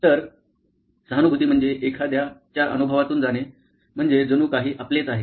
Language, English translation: Marathi, So, empathy is about going through somebody else's experience as if it were your own